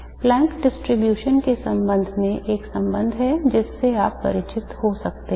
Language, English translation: Hindi, There is one relation regarding the Planx distribution that you might be familiar with